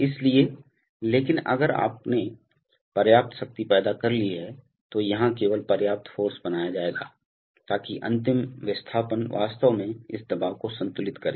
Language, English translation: Hindi, So but if you have created enough power then just enough force will be created here, so that the final displacement will actually balance this pressure